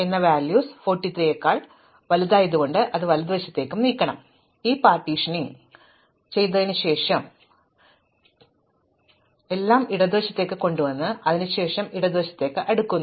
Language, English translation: Malayalam, So, I do this partitioning and how do I do this partitioning, well I kind of… So, I brought everything to the left and then after this, I recursively sort the left